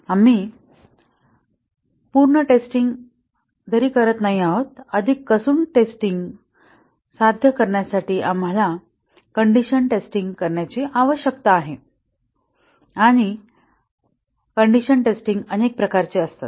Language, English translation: Marathi, We are not doing a very thorough testing, we need to do condition testing to achieve a more thorough testing and the condition testing are of many types